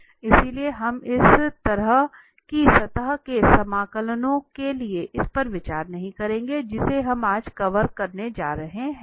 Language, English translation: Hindi, So, we will not consider this for such surface integrals which we are going to cover today